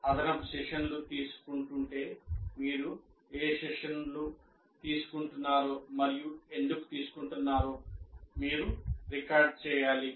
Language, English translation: Telugu, But if you are taking extra sessions, you should record why you are taking that session